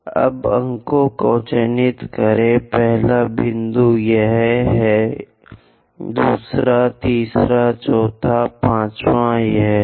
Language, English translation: Hindi, Now, mark the points, first point this is the one, second, third, fourth, fifth, and this